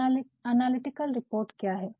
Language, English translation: Hindi, Now, what are analytical reports